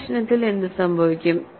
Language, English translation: Malayalam, What happens in this problem